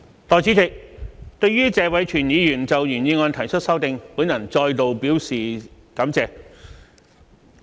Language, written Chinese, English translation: Cantonese, 代理主席，對於謝偉銓議員就原議案提出的修正，我再次表示感謝。, Deputy President I would like to thank Mr Tony TSE once again for proposing his amendment to my original motion